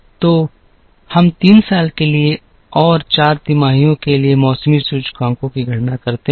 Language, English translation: Hindi, So, we compute the seasonality indices for the 3 years and for the 4 quarters